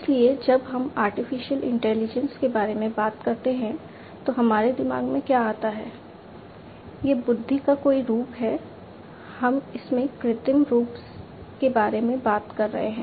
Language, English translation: Hindi, So, when we talk about artificial intelligence, what comes to our mind, it is some form of intelligence, we are talking about an artificial form of it